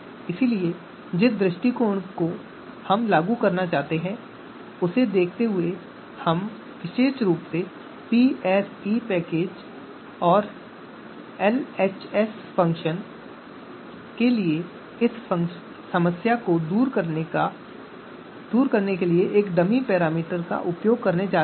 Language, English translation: Hindi, So given the approach that we want to implement we are using a dummy parameter to camouflage to overcome the functionality that we have noticed in our experience for this package PSE package and LHS function in particular